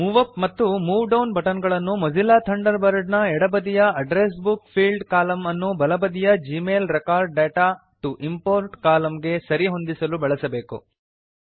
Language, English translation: Kannada, You must use the Move Up and Move Down buttons to match Mozilla Thunderbird Address Book fields column on the left with Gmail Record data to import column on the right